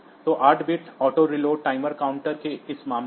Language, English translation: Hindi, So, 8 bit auto reload timer counter